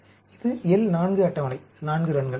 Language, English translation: Tamil, This is the L 4 table; 4 runs